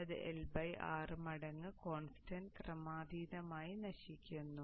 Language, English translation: Malayalam, So it will be decaying with the L by R time constant exponentially